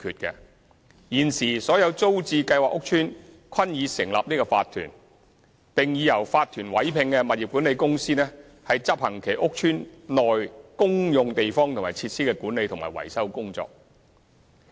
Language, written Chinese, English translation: Cantonese, 現時所有租置計劃屋邨均已成立法團，並已由法團委聘的物業管理公司執行其屋邨內公用地方和設施的管理及維修工作。, At present all TPS estates have already formed their OCs which have appointed property management companies to undertake the management and maintenance work of the common areas and facilities in the estates